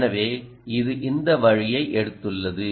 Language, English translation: Tamil, so it has taken this route